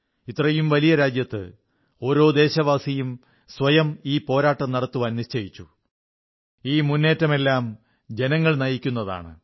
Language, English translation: Malayalam, In a country as big as ours, everyone is determined to put up a fight; the entire campaign is people driven